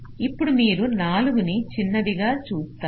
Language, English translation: Telugu, you see, four is the smallest